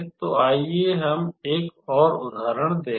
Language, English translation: Hindi, So, let us look into an another example